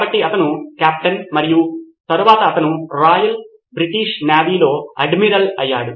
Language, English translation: Telugu, So he was a captain and later became an admiral with the Royal British Navy